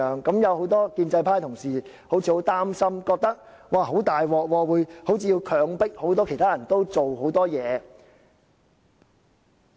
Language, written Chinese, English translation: Cantonese, 很多建制派的同事好像很擔心，覺得很糟糕，好像是要強迫其他人做很多事情。, Many pro - establishment Members seem to be very worried . They find it miserable as it seems that other people are forced to do a lot of things